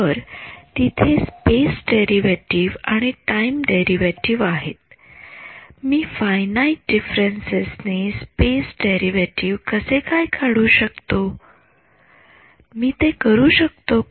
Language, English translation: Marathi, So, there is a space derivative and there is a time derivative, how will I calculate the space derivative by finite differences can I do it